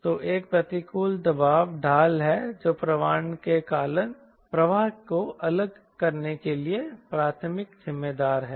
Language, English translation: Hindi, so there is a adverse pressure gradient that is primary responsible for flow separately